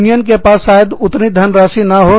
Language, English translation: Hindi, The union may not have, that much money